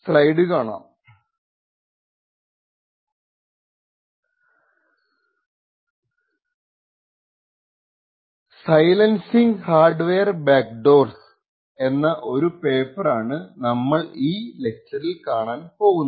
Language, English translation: Malayalam, In this lecture we will be looking at this paper called Silencing Hardware Backdoors